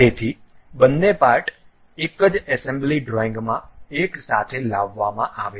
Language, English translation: Gujarati, So, both the parts are brought together in a single assembly drawing